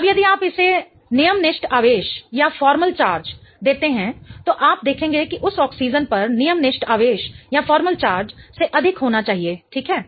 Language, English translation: Hindi, Now if you give the formal charge to it, you will observe that the formal charge on that oxygen has to be a plus